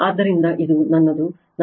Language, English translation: Kannada, So, this is one